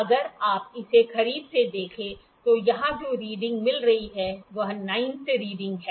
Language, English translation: Hindi, If you see it closely the reading that is coinciding here the 9th reading is coinciding